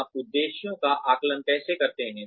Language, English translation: Hindi, How do you assess objectives